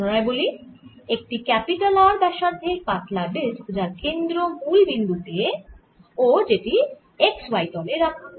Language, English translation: Bengali, so we are taking about a thin disc of radius r placed with the center at the origin and it's in the x y plane